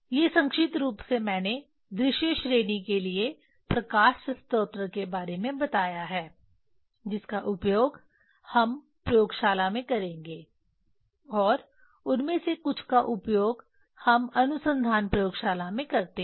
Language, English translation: Hindi, These are the briefly I told about the light source for visible range we will use in laboratory and some of them we use in the research laboratory just I mentioned them here